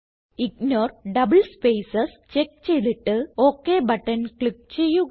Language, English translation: Malayalam, Now put a check on Ignore double spaces and click on OK button